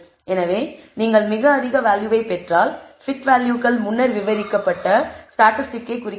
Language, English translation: Tamil, So, if you get a very high value, t values represents the statistic which have again described earlier